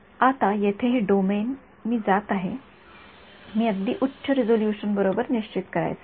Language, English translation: Marathi, Now this domain over here I am going to I want to determine to a very high resolution right